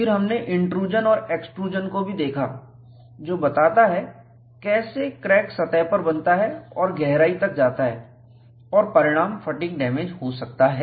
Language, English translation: Hindi, Then, we also looked at, intrusion and extrusion, which says how cracks can form on the surface and go deeper and fatigue damage can result